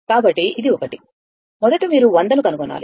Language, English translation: Telugu, So, this one, first you have to find look 100